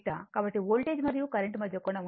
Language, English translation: Telugu, So, angle between the voltage as current is 53